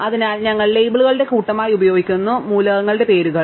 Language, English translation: Malayalam, So, we just use as the set of labels, the names of the elements themselves